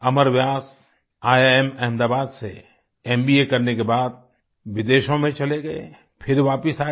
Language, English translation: Hindi, Amar Vyas after completing his MBA from IIM Ahmedabad went abroad and later returned